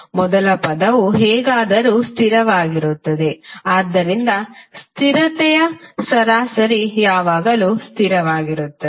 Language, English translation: Kannada, First term is anyway constant, so the average of the constant will always remain constant